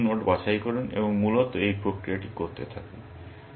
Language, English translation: Bengali, You pick some node and do this process, essentially